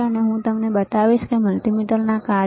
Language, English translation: Gujarati, And I will show it to you, the functions of the multimeter